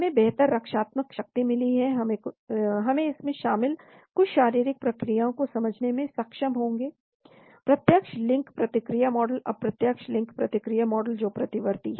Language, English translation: Hindi, It is got better prodective power, we will be able to understand some physiological mechanism involved, direct link response model, indirect link response model that is in reversible case